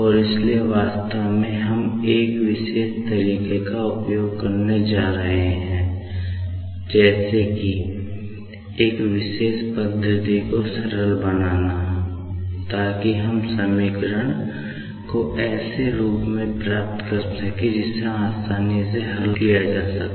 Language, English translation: Hindi, And, that is why, actually we are going to use a particular trick, a particular method like to simplify, so that we can get the equation in such a form that can be solved easily